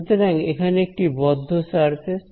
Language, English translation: Bengali, Now it is a closed surface